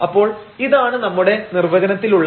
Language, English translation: Malayalam, So, this is dy in our definition